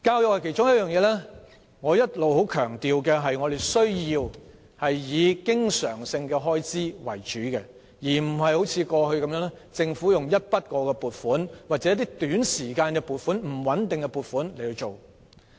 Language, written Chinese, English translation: Cantonese, 我一直十分強調，教育是需要以經常性開支為主的其中一個範疇，而非如政府過去般以一筆過、短期或不穩定的撥款處理。, I have long been stressing that education is one of the aspects mainly supported by recurrent expenditure which cannot be covered by one - off short - term or unstable funding just as what the Government did in the past